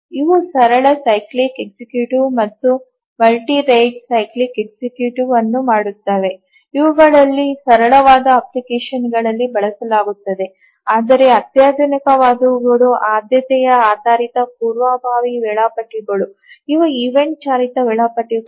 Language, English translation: Kannada, So, these two the simple cyclic executive and the multi rate cyclic executive, these are used in rather simple applications whereas the ones that are sophisticated are the priority based preemptive schedulers